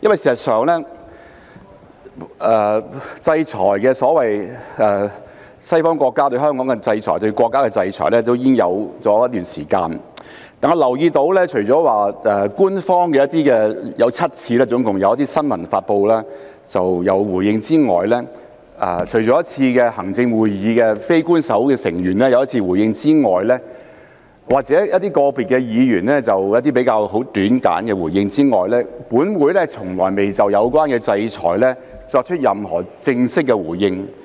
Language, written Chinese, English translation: Cantonese, 事實上，西方國家對香港的制裁、對國家的制裁已有一段時間，但我留意到除了官方總共7次以新聞發布作回應之外，以及行政會議非官守成員有一次回應，個別議員有一些很簡短的回應之外，本會從來未就有關制裁作出任何正式的回應。, In fact the sanctions by Western countries against Hong Kong and our country have been in place for quite some time but I notice that leaving aside a total of seven press releases issued in response by the Government one response from a Non - official Member of the Executive Council and some very brief responses from individual Members of ours this Council has never made any official response to the sanctions concerned